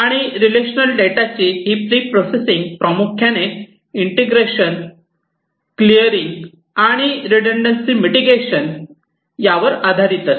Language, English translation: Marathi, And this pre processing of relational data mainly follows integration, clearing, and redundancy mitigation